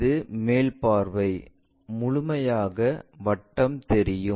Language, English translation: Tamil, This is the top view, complete circle visible